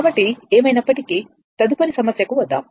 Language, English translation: Telugu, So, anyway come to the next problem